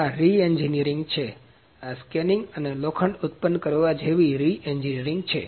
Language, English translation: Gujarati, This is re engineering; this is reengineering like scanning and producing iron